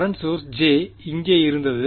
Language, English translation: Tamil, There was a current source J over here